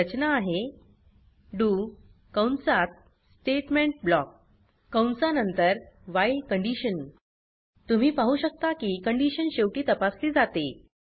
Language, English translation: Marathi, The structure is do statement block after the bracket the while You can see that the condition is checked at the end